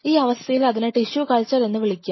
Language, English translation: Malayalam, In that situation, I will call it a tissue culture